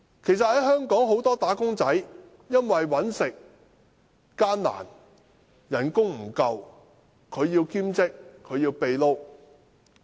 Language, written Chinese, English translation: Cantonese, 其實香港很多"打工仔"因為生活艱難，工資不足，需要兼職、"秘撈"。, As a matter of fact given the hardships in life and inadequate wages many wage earners in Hong Kong need to do part - time jobs or moonlight